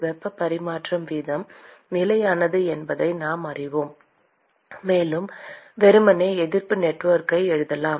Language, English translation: Tamil, We know that the heat transfer rate is constant, and we can simply write resistance network